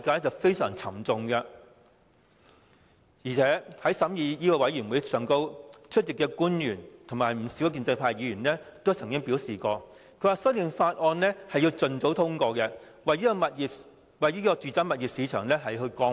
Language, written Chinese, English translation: Cantonese, 在審議《條例草案》的法案委員會會議上，出席的官員和不少建制派議員都曾經表示，《條例草案》要盡早通過，為住宅物業市場降溫。, At the meetings of the Bills Committee to scrutinize the Bill the attending government officials and a number of pro - establishment Members all said that the Bill had to be passed as soon as possible in order to cool down the residential property market